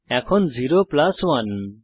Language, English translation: Bengali, Now 0 plus 1